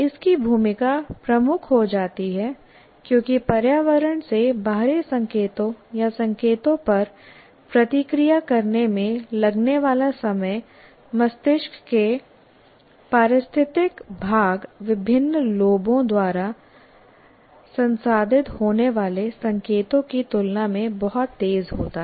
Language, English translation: Hindi, Its role becomes dominant because the time it takes to react to the external signals or signals from environment is very fast compared to the signals getting processed by the what you call logical part of the brain by the various slopes